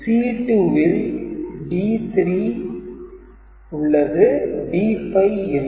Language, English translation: Tamil, So, here D 5 is not there, so D 7